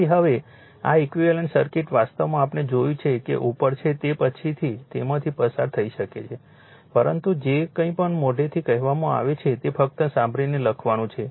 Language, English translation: Gujarati, Therefore now this equivalent circuit actually we have seen we have seen that, right up is there later you can go through it, but whateverwhy told from my mouth just listen write up is there about this